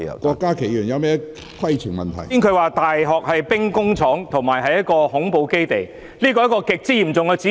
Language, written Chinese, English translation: Cantonese, 剛才局長說大學是兵工廠及恐怖主義基地，這是極為嚴重的指控。, Just now the Secretary said that the university is an arsenal and a base of terrorism . That was a hugely serious allegation